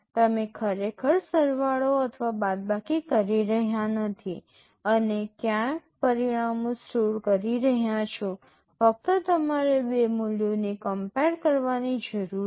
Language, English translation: Gujarati, You are actually not doing addition or subtraction and storing the results somewhere, just you need to compare two values